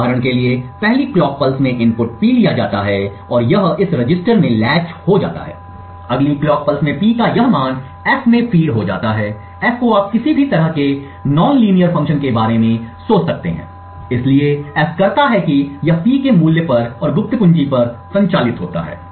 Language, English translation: Hindi, For example, in the first clock pulse the input P is taken and it gets latched into this register, in the next clock pulse this value of P is fed into F, F you could think of as any kind of nonlinear function, so what F does is that it operates on the value of P and also the secret key K